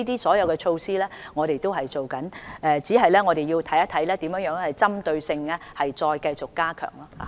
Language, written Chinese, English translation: Cantonese, 所有措施我們都正在做，只是要看看如何針對性地再繼續加強。, We are taking all these measures just that we have to look into how they can be continuously stepped up in a focused manner